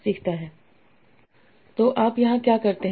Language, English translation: Hindi, So what you do here